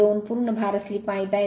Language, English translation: Marathi, 2 full load slip you know 0